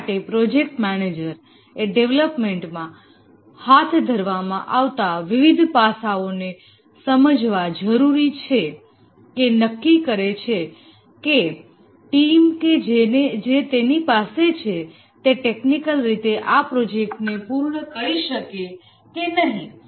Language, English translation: Gujarati, For this, the project manager needs to understand various aspects of the development to be undertaken and then assesses whether the team that he has, whether they can technically complete this project